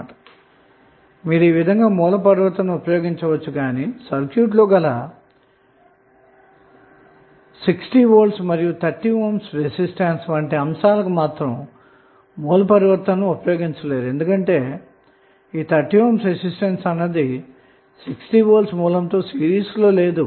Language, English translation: Telugu, So this you can utilize but, you cannot apply the same source transformation while considering these two elements like 6 volts and 30 ohm because this 30 ohm is not in series with 60 volt source